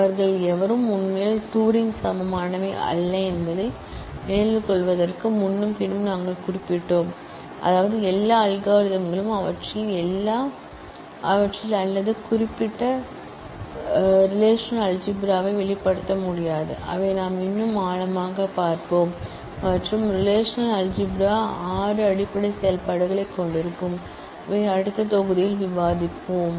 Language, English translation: Tamil, We mentioned that earlier also and also again to remember that none of them are actually Turing equivalent; that means, that not all algorithms can be expressed in them or specifically relational algebra, which we will look at in more depth and the relational algebra will consist of six basic operations, which we will discuss in the next module